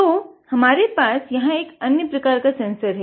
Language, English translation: Hindi, So, this is another sensor that we have got here